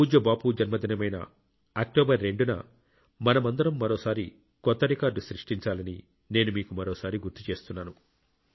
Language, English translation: Telugu, I too would like to remind you again that on the 2 nd of October, on revered Bapu's birth anniversary, let us together aim for another new record